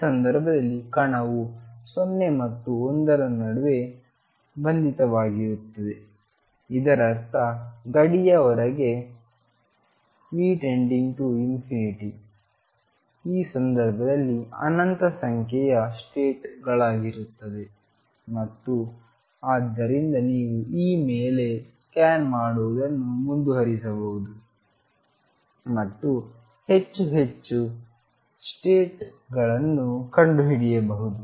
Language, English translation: Kannada, Since the particle is bound in this case between 0 and l; that means, V goes to infinity outside this boundary there going to be infinite number of states in this case and so you can keep scanning over E and find more and more states